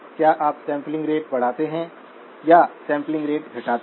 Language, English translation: Hindi, Do you increase the sampling rate or decrease the sampling rate